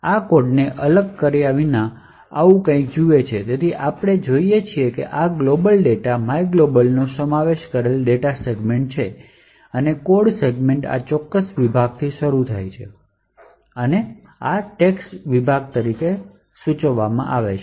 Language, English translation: Gujarati, The disassembly of this particular code looks something like this, so we see that there is a data segment comprising of this global data myglob and the codes segments starts from this particular section, which is denoted as the text section